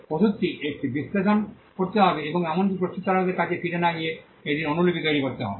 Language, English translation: Bengali, To take the medicine analyze it and even without going back to the manufacturer to create a copy of it